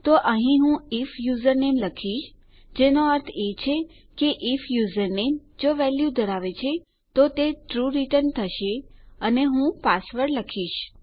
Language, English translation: Gujarati, So here Ill say if username which means if username has a value, it will return TRUE and Ill say password